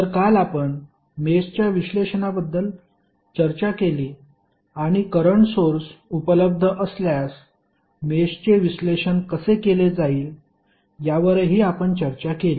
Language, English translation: Marathi, So, yesterday we discussed about mesh analysis and we also discussed that how the mesh analysis would be done if current sources available